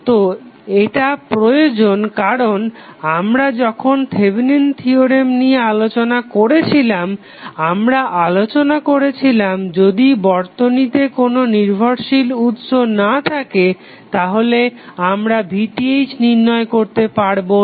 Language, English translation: Bengali, So, this is required because when we discussed the Thevenin theorem and we discussed dependent sources we stabilized that if you do not have independent source then you cannot determine the value of V Th